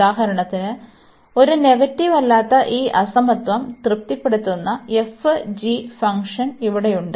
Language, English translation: Malayalam, So, for example here we have the function f and g which satisfy this inequality that f x is a non negative